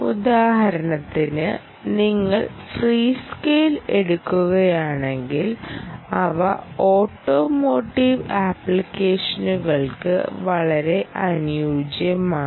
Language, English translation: Malayalam, for instance, if you take free scale, they are very suited for automotive applications